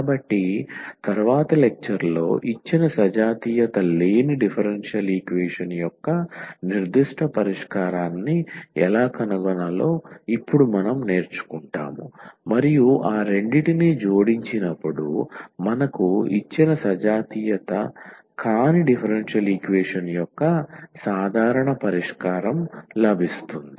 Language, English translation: Telugu, So, in the next lecture what we will learn now how to find a particular solution of the given non homogeneous differential equation and when we add that two we will get basically the general solution of the given non homogeneous differential equation